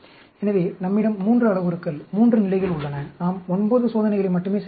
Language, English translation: Tamil, So, we have 3 parameters, 3 levels, we are doing only 9 experiments